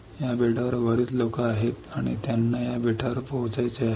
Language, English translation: Marathi, There are lot of peoples on this island, and they want to reach to this island